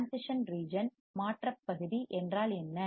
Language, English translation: Tamil, Transition region, what is transition region